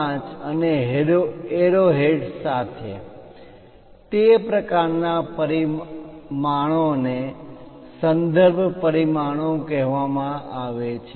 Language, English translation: Gujarati, 5 and arrow heads, that kind of dimensions are called reference dimensions